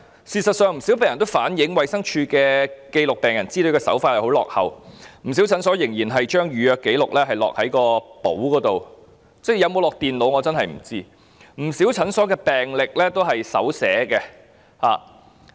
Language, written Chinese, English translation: Cantonese, 事實上，不少病人均反映衞生署記錄病人資料的手法落後，不少診所仍然將預約紀錄填在實體的登記冊上，我也不知道資料有否存入電腦，更有不少診所的病歷仍然是手寫的。, In fact many patients have conveyed that the approach adopted by DH in recording patients information is outdated . In many clinics the appointment records are still written on a physical register and I have no idea whether such information is input into a computer and patients medical histories are still recorded manually in many clinics